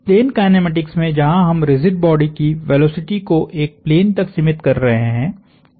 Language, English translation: Hindi, In plane kinematics, where we are restricting the motion of the rigid body to a plane